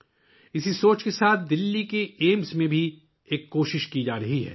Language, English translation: Urdu, With this thought, an effort is also being made in Delhi's AIIMS